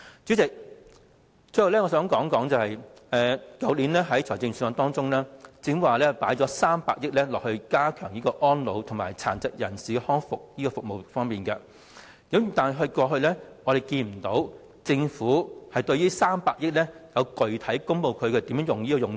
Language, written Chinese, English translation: Cantonese, 主席，最後我想指出，在去年的預算案中，政府提到會增撥300億元加強安老和殘疾人士康復服務，但我們過去卻沒有聽到政府公布這300億元的具體用途。, Chairman finally I wish to point out that the Government indicated in last years budget that it would earmark a total of 30 billion to strengthen elderly services and rehabilitation services for persons with disabilities . But we have heard nothing in the past about the specific usage of the 30 billion over the past year